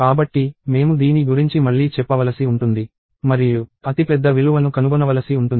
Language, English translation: Telugu, So, I may have to just iterate over this and find out the largest value